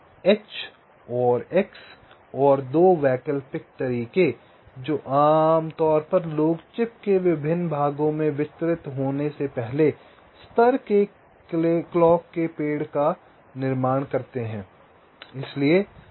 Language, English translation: Hindi, so this h and x and two alternative ways which typically people build, the first level clock tree before they are distributed to the different parts of the trip